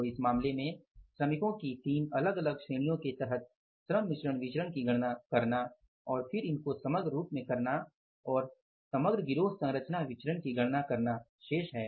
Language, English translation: Hindi, So in this case for calculating the labor mixed variance under the three different categories of the workers and then summing it up and calculating the composite gang composition various, I will discuss with you in the next class